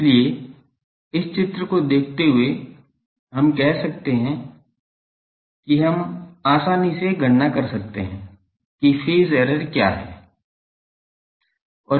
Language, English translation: Hindi, So, looking into this figure we can say that we can easily calculate, what is the phase error